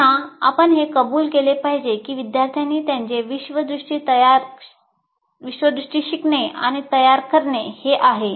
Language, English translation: Marathi, So this, again, you have to acknowledge this is a way the students learn and construct their worldview